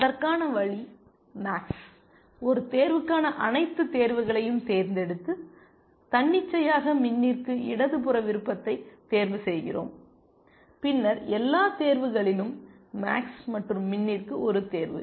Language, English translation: Tamil, And the way to that is to select all choices for max, one choice and let us say, arbitrarily we are choosing the left most choice for min then all choices for max and one choice for min